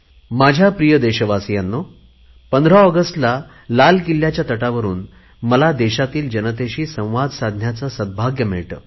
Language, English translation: Marathi, Dear countrymen, I have the good fortune to talk to the nation from ramparts of Red Fort on 15thAugust, it is a tradition